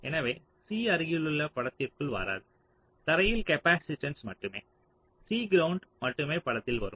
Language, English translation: Tamil, so c adjacent will not come in to the picture, only the capacitance to ground, only c ground will come into the picture